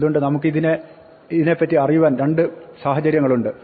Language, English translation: Malayalam, So, there are two situations where we will know this